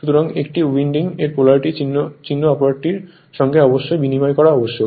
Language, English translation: Bengali, So, then the polarity markings of one of the windings must be interchanged